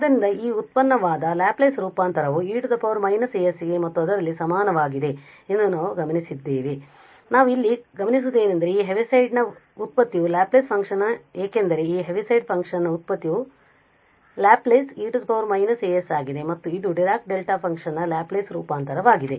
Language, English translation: Kannada, So, we have observe that the Laplace transform of this the derivative is equal to e power minus a s and in that case the Laplace what we observe here that the Laplace of the derivative of this Heaviside function because the Laplace of the derivative of this Heaviside function is e power minus as and which is the Laplace transform of Dirac Delta function